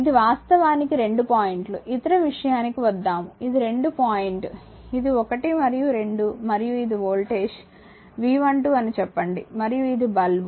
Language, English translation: Telugu, This is your actually 2 points say will come to that other thing, this is the 2 point this is 1 and 2 and this is the voltage say V 12 and this is the lamp right